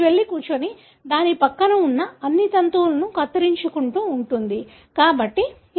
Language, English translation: Telugu, It goes and sits and keeps on cropping all the strands that are present next to it